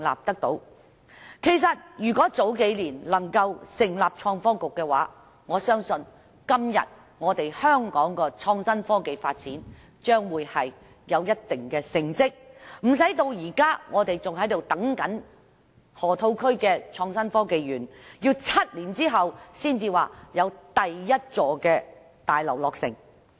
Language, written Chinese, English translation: Cantonese, 其實如果能夠早數年成立創新及科技局，我相信今天香港的創新科技發展已有一定的成績，不會至今仍在等待河套區的創新及科技園，要待7年後，第一座大樓才會落成。, It was not until last year that the Bureau could be established . Actually I believe if the Bureau could be set up a few years earlier the development of innovation and technology in Hong Kong should have already made considerable achievements . We would not still be waiting for the establishment of the Innovation and Technology Park in the Loop where the first building will not be completed until seven years later